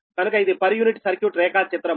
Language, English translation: Telugu, so this is the per unit circuit diagram, right